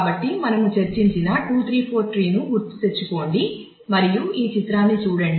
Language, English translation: Telugu, So, just recall the notion of 2 3 4 tree that we had discussed and look at this diagram